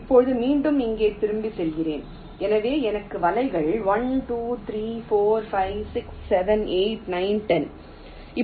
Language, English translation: Tamil, now again going back here, so i have the nets one, two, three, four, five, six, seven, eight, nine, ten